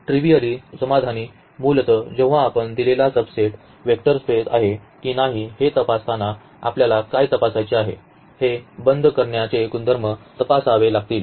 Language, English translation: Marathi, So, basically when we check whether a given subset is a vector space or not what we have to check we have to check these closure properties